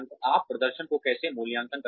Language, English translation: Hindi, How do you appraise performance